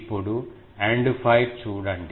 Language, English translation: Telugu, Now, look at an End fire